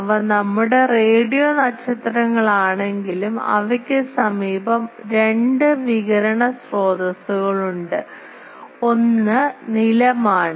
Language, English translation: Malayalam, they are our radio stars they are but apart from that there are two nearby sources of radiation, one is the ground